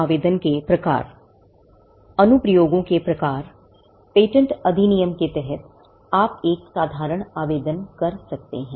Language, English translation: Hindi, Types of applications; under the Patents Act, you can make an ordinary application